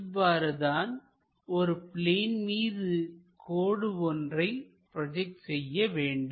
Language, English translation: Tamil, This is the way we should really construct a line on this plane